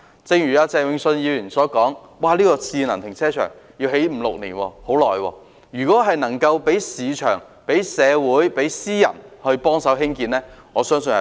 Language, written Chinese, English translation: Cantonese, 正如鄭泳舜議員所說，興建智能停車場需時五六年，如果能讓市場、社會和私人機構協助興建，我相信速度會更快。, As Mr Vincent CHENG said it takes five to six years to construct a smart car park . I believe the progress can be speeded up by allowing the market society and private sector to assist in construction